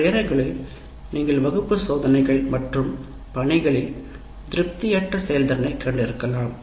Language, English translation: Tamil, And sometimes you have unsatisfactory performance in the class tests and assignments